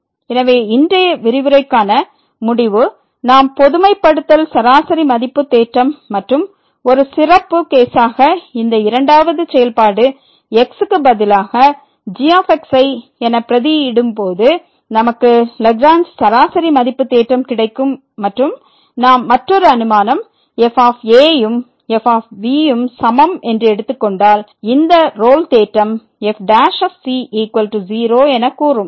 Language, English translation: Tamil, So, the conclusion for today’s lecture that we have learnt the generalize mean value theorem and as a special case when we substitute this the other function the second function as , we will get the Lagrange mean value theorem and if we take another assumption that is equal to then this will be the Rolle’s theorem which says that prime is equal to , ok